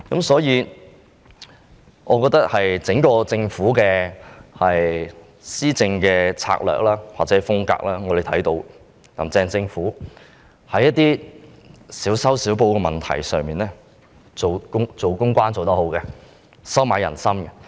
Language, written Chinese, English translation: Cantonese, 所以，我們從"林鄭"政府的施政策略或風格看到，在一些少修少補的問題上，公關工作做得很好，懂得收買人心。, Therefore as seen from the governing strategies or style of governance of the Carrie LAM Government it has done a good job in terms of public relations on some patch - up issues and can hence win peoples hearts